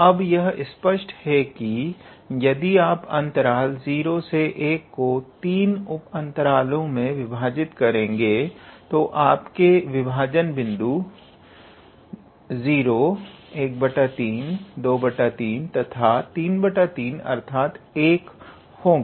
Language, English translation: Hindi, Now, it is obvious that if you divide the interval 0 to 1 into 3 sub intervals, then your partition points will be 0, 1 by 3, 2 by 3 and 3 by 3, which is 1